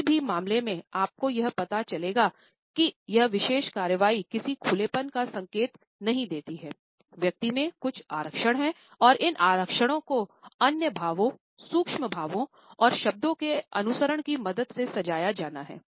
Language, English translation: Hindi, In any case you would find that this particular action does not indicate an openness there are certain reservations in the person and these reservations are further to be decorated with the help of other expressions, micro expressions and the words which might follow later on